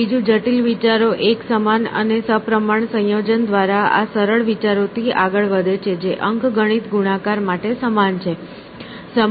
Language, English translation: Gujarati, And secondly, complex ideas proceed from these simple ideas by a uniform and symmetrical combination, analogous to arithmetical multiplication